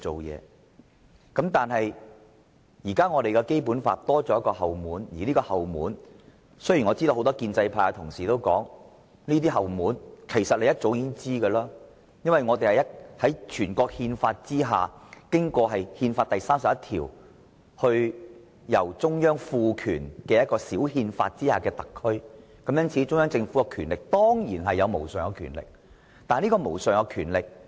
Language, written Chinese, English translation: Cantonese, 不過，現時的《基本法》多了一道後門，而這道後門......雖然很多建制派議員說道，他們早已意識到會出現有關後門，因為我們是中央政府按照《中華人民共和國憲法》第三十一條賦權制定小憲法而成立的特區，因此中央政府當然擁有無上權力。, But now a backdoor has been opened in the Basic Law and this backdoor Many pro - establishment Members have told us about their awareness to the opening of such a backdoor long ago because we are a Special Administrative Region established under a mini - constitution which was enacted by the Central Government with the power conferred on it under Article 31 of the Constitution of the Peoples Republic of China . They have therefore asserted that the Central Government is certainly vested with supreme power